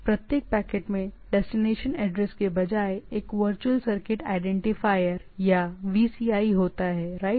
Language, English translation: Hindi, Each packet contains a virtual circuit identifier or VCI instead of the destination address, right